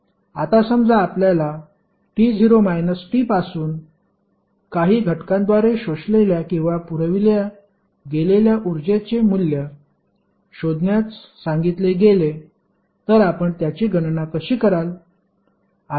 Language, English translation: Marathi, Now, suppose you are asked to find out the value of energy absorbed or supplied by some element from time t not to t how you will calculate